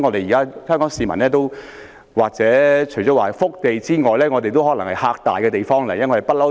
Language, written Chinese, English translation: Cantonese, 現時香港市民......香港除了是福地外，也可說是"嚇大"的地方。, At present the Hong Kong people While Hong Kong is a blessed land it has also accustomed to intimidation